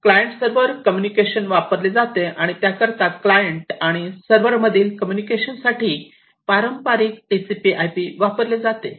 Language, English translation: Marathi, So, client server communication is used and for that a TCP/IP conventional one is used for the communication with between the client and the server